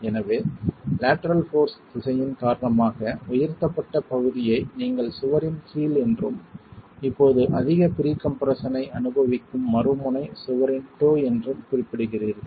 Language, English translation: Tamil, So, the portion that has undergone uplift because of the direction of the lateral force, we refer to that as the heel of the wall and the other end which is now experiencing higher pre compression is the toe of the wall